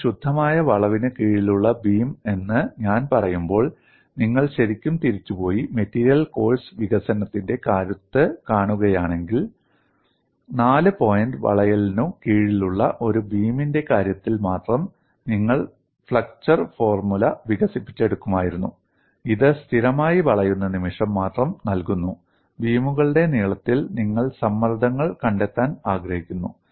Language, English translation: Malayalam, See, when I say beam under pure bending, if you really go back and see your strength of material course development, you would have developed the flexure formula only for the case of a beam under fore point bending, which is giving only constant bending moment in the length of the beam, for which you want to find out the stresses